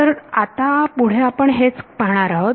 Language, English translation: Marathi, So, that is what we look at next